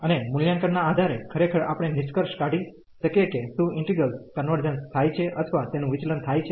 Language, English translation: Gujarati, And with the basis of the evaluation indeed we can conclude whether the integral converges or it diverges